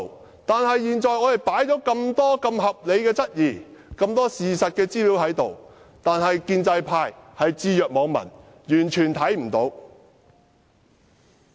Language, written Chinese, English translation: Cantonese, 可惜的是，雖然我們提出那麼多合理質疑及事實資料，建制派卻置若罔聞，視若無睹。, Unfortunately though we have raised so many reasonable queries and provided factual information the pro - establishment camp has turned a deaf ear and a blind eye